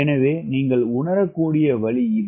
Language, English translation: Tamil, this is way i perceive